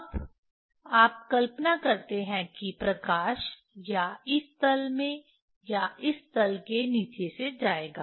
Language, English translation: Hindi, Now, you imagine light will go in either in this plane or this below to this plane